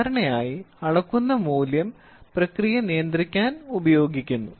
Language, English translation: Malayalam, So, this is generally the measured value is used to control the process